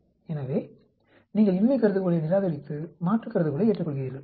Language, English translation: Tamil, So, you reject the null hypothesis and accept the alternative hypothesis